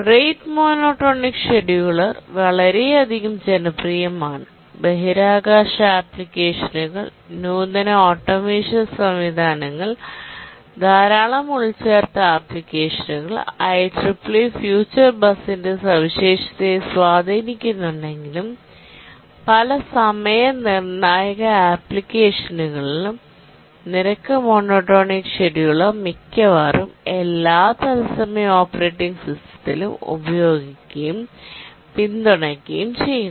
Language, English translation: Malayalam, The rate monotermed scheduler is overwhelmingly popular, used in many, many applications, space applications, advanced automation systems, large number of embedded applications, even has influenced the specification of the ICC3PII future bus and in many time critical applications the rate monotonic scheduler is used and is supported in almost every operating, real time operating system